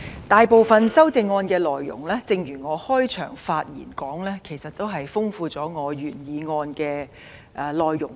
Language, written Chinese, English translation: Cantonese, 大部分修正案的內容，正如我開場發言所說，是豐富了原議案的內容。, As I said in my opening remark the contents of most amendments have enriched the original motion